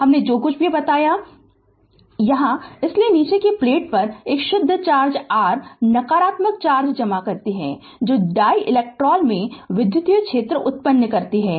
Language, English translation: Hindi, Whatever I told hence the lower plate accumulates a net charge your negative charge that produce an electrical field in the dielectric